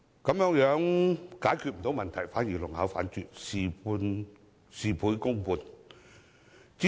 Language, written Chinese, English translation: Cantonese, 這樣不單沒有解決問題，反而弄巧反拙，事倍功半。, Not only does it fail to deliver a solution instead it defeats the purpose and achieves only half the result with twice the effort